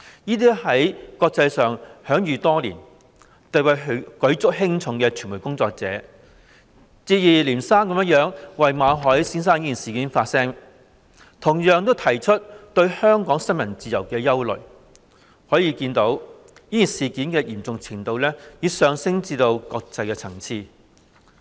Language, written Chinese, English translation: Cantonese, 這些在國際上享譽多年、地位舉足輕重的傳媒工作者，接二連三為馬凱事件發聲，同樣提出對香港新聞自由的憂慮，可見事件的嚴重程度已上升至國際層次。, These internationally renowned veteran media workers have voiced their views on the MALLET incident one after another echoing their concern about freedom of the press in Hong Kong . This indicates that the incident has escalated to an international level